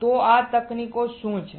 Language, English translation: Gujarati, So, What are these techniques